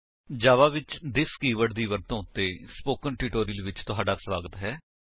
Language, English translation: Punjabi, Welcome to the Spoken Tutorial on Using this keyword in java